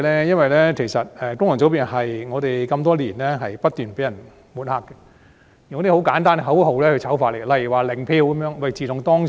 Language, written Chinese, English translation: Cantonese, 因為功能界別多年來不斷被抹黑，以一些簡單的口號如"零票"進行醜化。, Because FCs have been incessantly smeared and defamed with such simple slogans as zero votes over the years